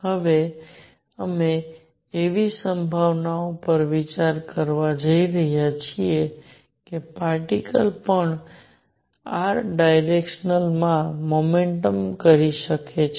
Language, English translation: Gujarati, Now, we are considering the possibility that the particle can also perform motion in r direction